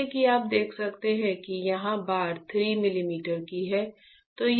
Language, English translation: Hindi, As you can see this is 3 millimeter here the bar